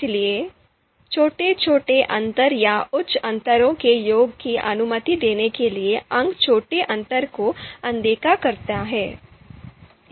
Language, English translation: Hindi, So the points are to ignore insignificant small differences but to allow sum of small differences or you know you know higher differences